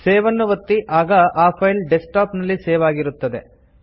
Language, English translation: Kannada, Click Save and the file will be saved on the Desktop